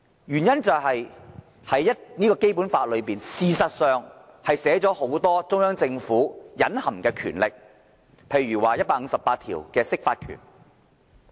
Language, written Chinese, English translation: Cantonese, 原因是《基本法》確實書寫了很多中央政府的隱含權力，例如第一百五十八條所訂的釋法權。, It is because the Basic Law has actually given the Central Government a lot of implied powers such as the power of interpretation of the Basic Law provided under Article 158